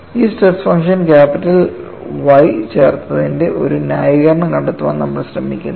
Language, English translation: Malayalam, We are trying to find a justification why this stress function capital Y is added